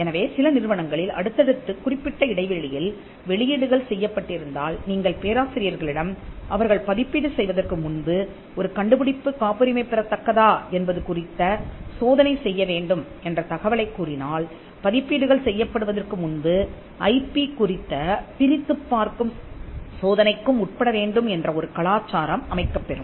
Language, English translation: Tamil, So, if some if the institute has a long list of publications happening at regular intervals and if the professors are informed that before you publish you have to actually do a screening on whether something can be patented then that will set a culture where the publications before they get published are also screened for IP